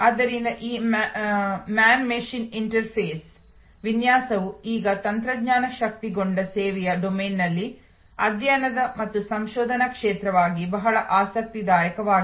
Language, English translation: Kannada, So, this man machine interface design therefore, is now becoming a very interesting a study and research field in the domain of technology enabled service